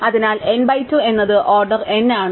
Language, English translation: Malayalam, So, n by 2 is order n